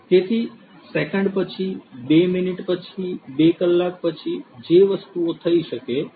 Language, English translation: Gujarati, So, seconds later, two minutes later, two hours later, things that can happen